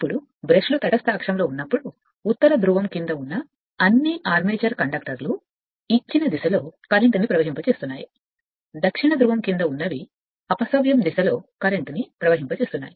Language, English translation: Telugu, Now when the brushes are on the neutral axis all the armature conductors lying under the north pole carrying currents in a given direction while those lying under south pole carrying currents in the reverse direction right